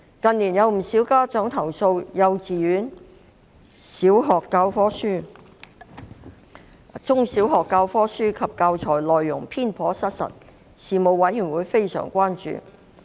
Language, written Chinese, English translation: Cantonese, 近年不少家長投訴幼稚園和中小學的教科書及教材內容偏頗失實，事務委員會對此非常關注。, In recent years many parents complained about biased and inaccurate contents in textbooks and teaching materials of kindergartens primary schools and secondary schools . The Panel expressed great concern about this situation